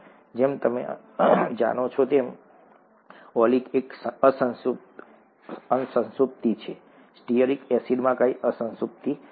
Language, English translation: Gujarati, Oleic, as you know has one unsaturation, stearic acid, has no unsaturation